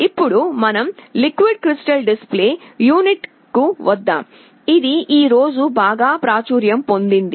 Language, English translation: Telugu, Now let us come to liquid crystal display unit, which has become very popular today